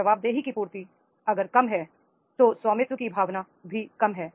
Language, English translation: Hindi, Lower the fulfillment of the accountabilities, lower is the sense of ownership is there